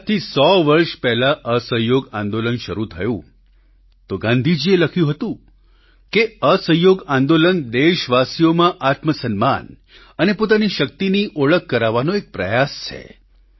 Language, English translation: Gujarati, A hundred years ago when the Noncooperation movement started, Gandhi ji had written "Noncooperation movement is an effort to make countrymen realise their selfrespect and their power"